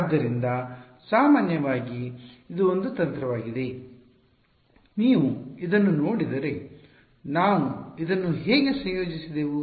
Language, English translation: Kannada, So, in general this is a strategy what is how did I mean if you look at it how did we combined this